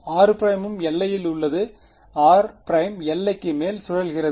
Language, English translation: Tamil, R prime is also on the boundary r prime is looping over the boundary